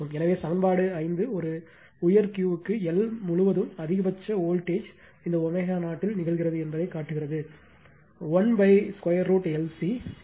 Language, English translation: Tamil, So, equation 5 shows that for a high Q the maximum voltage your across L occurs at your this omega 0 approximately 1 upon root over L C